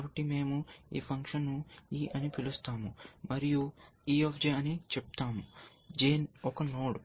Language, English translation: Telugu, So, we will call this function e, and let say e of J, were J is a node